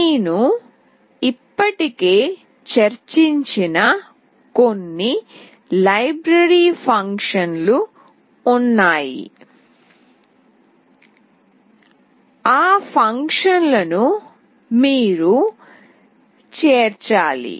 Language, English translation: Telugu, There are certain library functions that I have already discussed, those functions you have to include